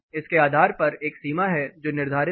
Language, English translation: Hindi, Based on this there is a limit which is set